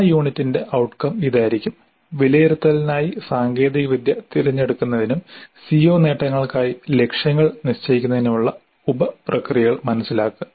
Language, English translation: Malayalam, So, the outcome of that unit would be understand the sub processes of selecting technology for assessment and setting targets for CO attainment